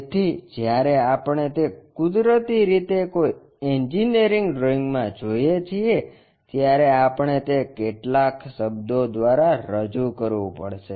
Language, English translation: Gujarati, So, when we are looking at that naturally in any engineering drawing we have to represent by that letters